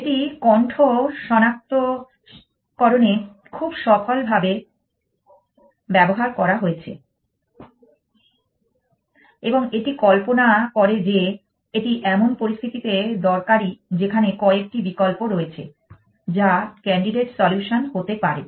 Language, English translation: Bengali, It has been use very successfully in speech recognition and it imagines that is useful in situations where there are a few options which are likely to be candidates’ solution essentially